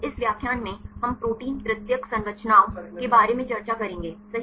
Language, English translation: Hindi, In this lecture we will discuss about protein tertiary structures right